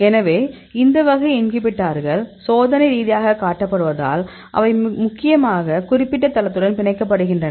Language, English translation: Tamil, So, because they are experimentally shown that these type of inhibitors; they mainly bind with the particular site